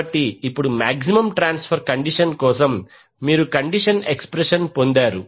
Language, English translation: Telugu, So, now for maximum power transfer condition you got to expression for the condition